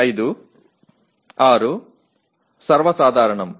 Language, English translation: Telugu, 5, 6 is more common